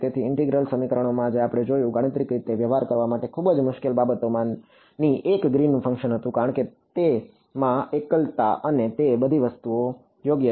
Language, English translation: Gujarati, So, in integral equations which we looked at, one of the very difficult things to deal with mathematically was Green’s function because, it has singularities and all of those things right